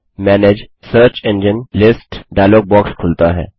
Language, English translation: Hindi, The Manage Search Engines list dialog box pops up